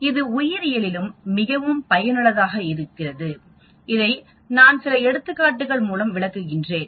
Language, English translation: Tamil, This is also very useful in biology as I am going to talk about a few examples